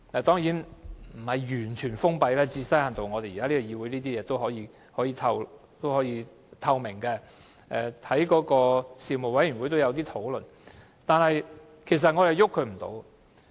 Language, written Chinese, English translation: Cantonese, 當然，這並非完全封閉，因為在這個議會提出的事情，還具一定透明度，而事務委員會也有討論相關事宜。, Certainly it is not a fully closed type for issues put forth in this Council still enjoy a certain degree of transparency and the relevant issues were discussed at panels